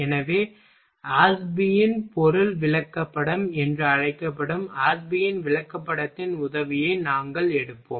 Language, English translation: Tamil, So, we will take help of Ashby’s chart that is called Ashby’s material chart